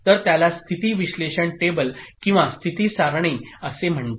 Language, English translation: Marathi, So it is called state analysis table or state table